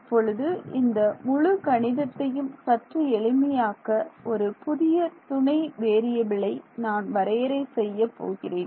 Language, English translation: Tamil, Now, to make this whole math a little bit easier, I am going to define a new auxiliary variable ok